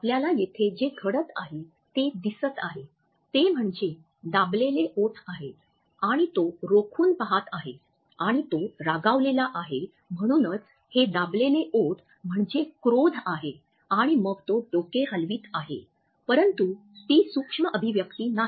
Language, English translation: Marathi, What you can see here happening here that is pressed lips and he is staring and the source of his anger that is why this press lips is a meaning of anger and then what happens is shaking his head, but that is not the micro expression